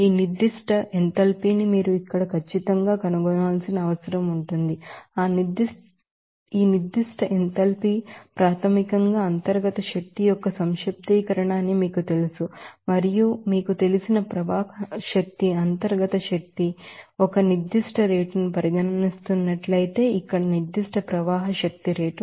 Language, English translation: Telugu, So, what exactly you need to find out here, this specific enthalpy and for that, you know that this specific enthalpy is basically summation of internal energy plus you know, flow energy, that internal energy it is if you are considering that a specific rate then here to be that specific rate of internal energy here specific rate of flow energy